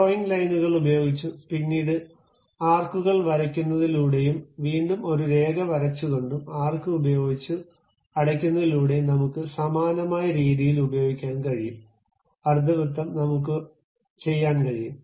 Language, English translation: Malayalam, We can use same kind of thing by using drawing lines, then drawing arcs, again drawing a line and closing it by arc also, semi circle, we can do that